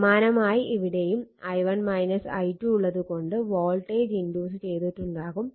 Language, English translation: Malayalam, So, similarly here also due to this i1 minus i 2 voltage will be induced here